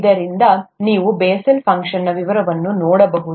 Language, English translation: Kannada, So you can look through the details of the Bessel’s functions